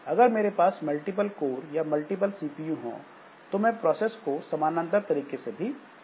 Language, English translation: Hindi, But if I have got multiple codes or multiple CPUs, then I can do this parallel processing also